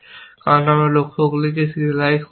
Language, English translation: Bengali, So, I serialize the goals, essentially